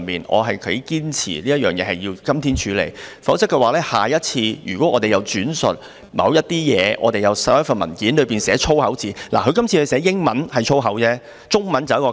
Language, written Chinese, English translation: Cantonese, 我頗堅持這事情要在今天處理，否則下一次如果我們轉述某份文件內的某些東西時出現粗口怎辦？, I quite insist that this matter be dealt with today . Otherwise what should we do if swear words appear next time we quote something from a paper?